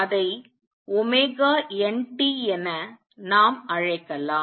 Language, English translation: Tamil, Let us call it omega n t